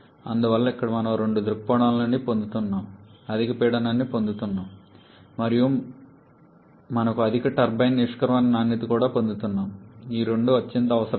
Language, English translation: Telugu, Therefore here we are gaining from both point of view, we are getting higher pressure and also we are getting higher turbine exit quality both of which are highly desirable